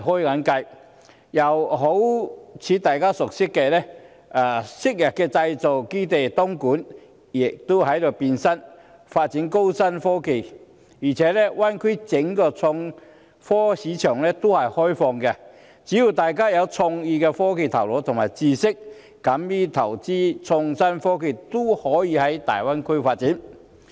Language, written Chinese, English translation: Cantonese, 又例如大家所熟悉的東莞，亦正由昔日的製造基地變身發展高新科技，而且，大灣區內整個創科市場都是開放的，只要大家有創意、有科技的頭腦和知識，敢於投資創新科技，均可到大灣區發展。, As a manufacturing base in the past it is now transforming into a centre for developing high technologies . What is more the entire IT market in the Greater Bay Area is open . As long as people are creative full of ideas knowledgeable in technologies and daring to invest in IT they can go to the Greater Bay Area to develop their careers